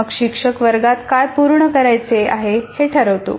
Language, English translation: Marathi, Then the teacher sets a task to be completed in the class